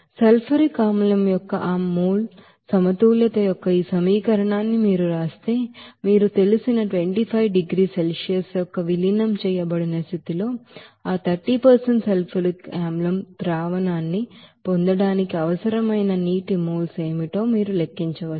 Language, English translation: Telugu, So if you write this equation of that mole balance of the sulfuric acid, you can you know calculate what should be the you know, moles of water to be required for getting that 30% sulfuric acid solution at its diluted condition of 25 degrees Celsius